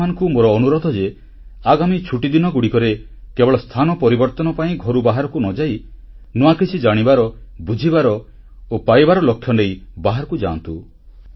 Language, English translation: Odia, I would request that during these vacations do not go out just for a change but leave with the intention to know, understand & gain something